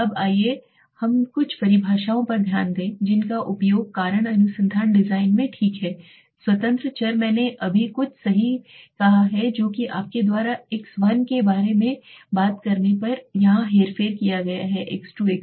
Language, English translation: Hindi, Now let us look at some of the definitions that are used in causal design research design okay independent variables I just said right something that are manipulated here you talk about the x1, x2, x3